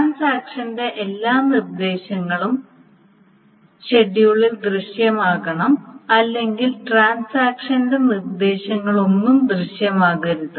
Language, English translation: Malayalam, So all instructions of the transaction must appear to the schedule or none of the instructions of the transaction appears